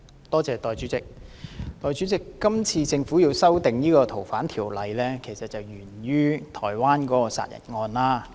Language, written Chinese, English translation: Cantonese, 代理主席，這次政府要修訂《逃犯條例》是源於台灣一宗殺人案。, Deputy President the Governments current proposal to amend the Fugitive Offenders Ordinance originated from a homicide case in Taiwan